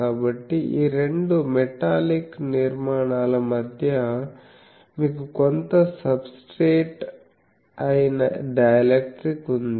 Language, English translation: Telugu, So, between the two these metallic structures, you have some substrate that is a dielectric